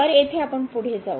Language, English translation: Marathi, So, here moving further